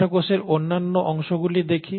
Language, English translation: Bengali, Then we look at the other parts of the cells